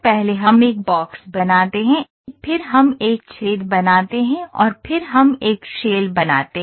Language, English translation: Hindi, First we create a box, then we create a hole and then we create a shell